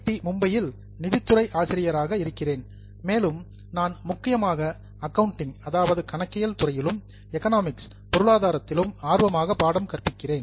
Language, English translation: Tamil, Currently I am a faculty in finance at IIT Mumbai and I have teaching interests mainly in the area of accounting as well as to an extent in economics